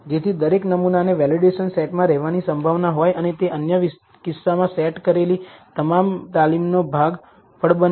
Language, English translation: Gujarati, So that every sample has a chance of being in the validation set and also be being part of the training set in the other cases